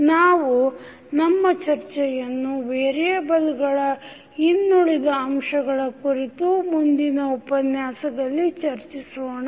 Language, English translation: Kannada, We will continue our discussion related to other aspects of state variable in our next lecture